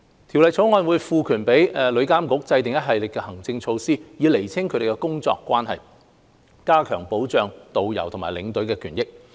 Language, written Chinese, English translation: Cantonese, 《條例草案》會賦權旅監局制訂一系列行政措施，以釐清他們的工作關係，加強保障導遊和領隊的權益。, The Bill will empower TIA to formulate a series of administrative measures to clarify the work relationship between tourist guidestour escorts and travel agents so as to enhance the protection of the rights of tourist guides and tour escorts